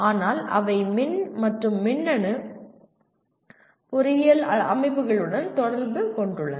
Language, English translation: Tamil, But they are involved with electrical and electronic engineering systems